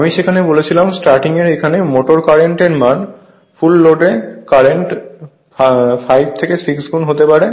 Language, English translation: Bengali, I told you there for the motor current at starting can be as large as 5 to 6 times the full load current